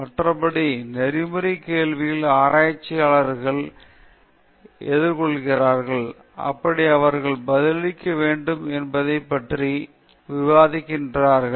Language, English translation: Tamil, Again, critically examining the ethical questions researchers face and how they ought to respond